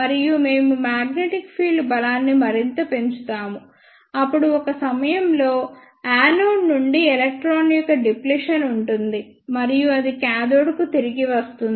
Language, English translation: Telugu, And we further increase the magnetic field strength, then at one point there will be deflection of the electron from the anode and that will return to the cathode